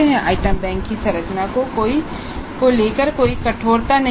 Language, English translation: Hindi, There is no rigidity about the structure of the item bank